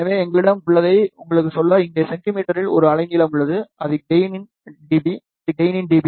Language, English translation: Tamil, So, just to tell you what we have here, here is a wavelength in centimeter, this is the gain in dB